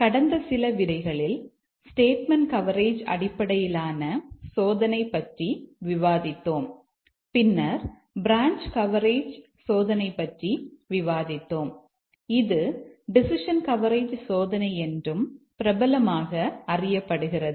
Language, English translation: Tamil, In the last few lectures discussed about statement coverage based testing and then we had discussed about branch coverage testing which is also popularly known as the decision coverage testing